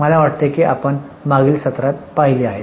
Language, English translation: Marathi, I think we have seen it in the last session